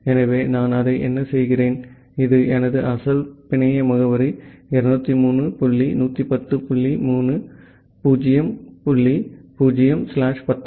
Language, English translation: Tamil, So, what I do that; that was my original network address 203 dot 110 dot 0 dot 0 slash 19